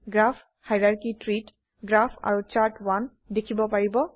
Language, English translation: Assamese, In the Graph hierarchy tree, you can see Graph and Chart1